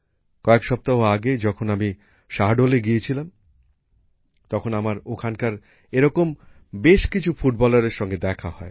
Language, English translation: Bengali, When I had gone to Shahdol a few weeks ago, I met many such football players there